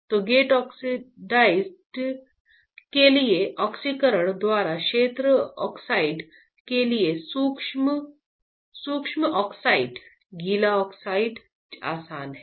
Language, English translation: Hindi, So, dry oxidation, wet oxidation, wet oxidation for field oxide by oxidation for gate oxide easy